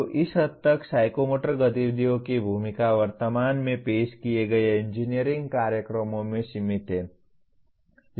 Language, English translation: Hindi, So to that extent the role of psychomotor activities is limited in engineering programs as offered at present